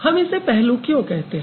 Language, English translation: Hindi, So, why we call it aspects